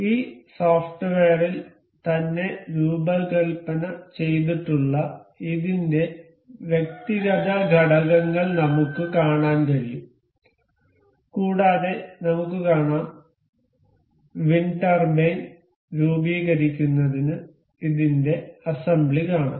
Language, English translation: Malayalam, We can see the individual components of this that is designed on this software itself and we can see and we can see the assembly of this to form the wind turbine